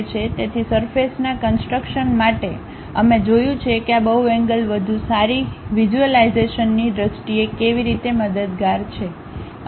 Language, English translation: Gujarati, So, for surface constructions we have seen how these polygons are helpful in terms of better visualization